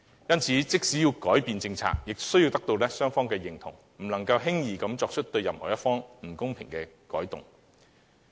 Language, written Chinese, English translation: Cantonese, 因此，即使要改變政策，亦須得到雙方同意，不能輕易地作出對任何一方不公平的舉措。, As such even if its policy is to be changed consent from both parties must be sought . The Government must not take any initiative that is unfair to either party